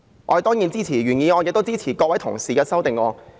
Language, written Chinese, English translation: Cantonese, 我當然支持原議案和各位同事的修正案。, I certainly support the original motion and Honourable colleagues amendments